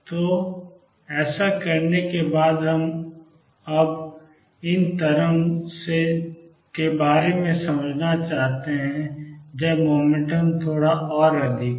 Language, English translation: Hindi, So, having done that now we want to understand about this wave when the particle little more